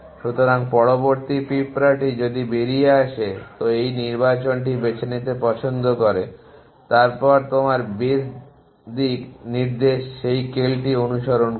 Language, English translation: Bengali, So, the next ant which comes out is more like to choose this selection then in your base directions and follow that kale